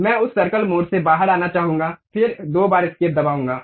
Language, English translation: Hindi, I would like to come out of that circle mode, then press escape twice